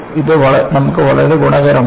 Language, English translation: Malayalam, See, this is very advantageous for us